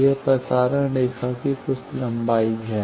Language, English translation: Hindi, It is some length of transmission line